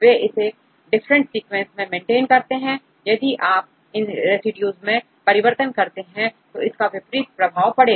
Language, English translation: Hindi, They try to maintain in different sequences means if you alter these residues it will have adverse effects